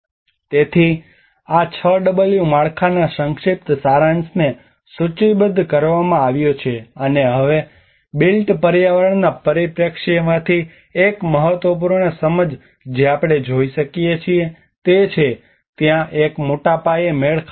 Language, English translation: Gujarati, So there is a brief summary of this whole 6w framework has been listed out and now one of the important understanding from a built environment perspective what we can see is there is a scale mismatches